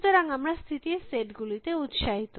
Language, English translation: Bengali, So, we are interested in the set of states